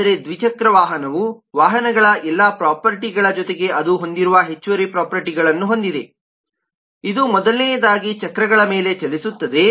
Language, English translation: Kannada, but in addition to all that properties of vehicle, two wheeler has additional property that it has: it moves on wheels first of all